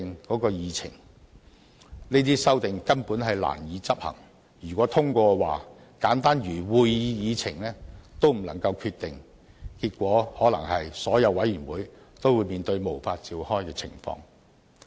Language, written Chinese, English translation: Cantonese, 這些修訂根本難以執行，如獲通過，則簡單如會議議程也不能決定，結果可能是所有委員會都會面對無法召開的情況。, These amendments are hard to implement . If they are passed determination cannot be made even on simple matters such as the agenda of a meeting resulting in the possible situation that meetings of all committees cannot be held